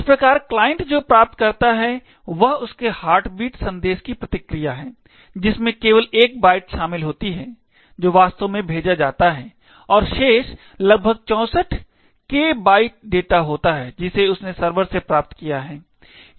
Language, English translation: Hindi, Thus, what the client obtains is the response to its heartbeat message comprising of just one byte which is actually sent and the remaining almost 64K bytes of data which it has gleaned from the server